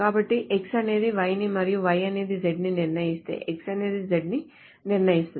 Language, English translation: Telugu, So if X determines Y and y determines z, then x determines z